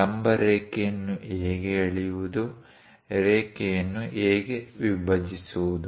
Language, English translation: Kannada, How to draw perpendicular line, how to divide a line